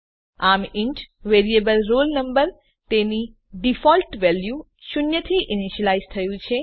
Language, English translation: Gujarati, So, the int variable roll number has been initialized to its default value zero